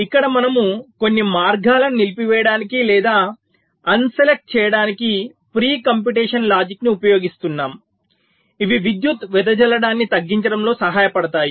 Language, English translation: Telugu, some pre computation logic to disable or un select some of the paths which can help in reducing power dissipation